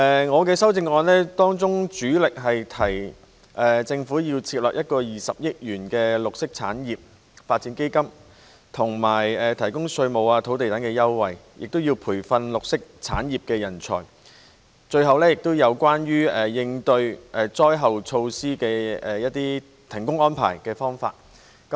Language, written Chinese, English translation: Cantonese, 我的修正案主力提出政府要設立一個20億元的綠色產業發展基金、提供稅務和土地等優惠、培訓綠色產業人才，以及制訂災難應變措施和災後停工安排。, My amendment mainly proposes that the Government should establish a 2 billion green industries development fund provide tax and land concessions etc nurture a pool of talents for green industries and formulate contingency measures for handling disasters and arrangements for suspension of work after disasters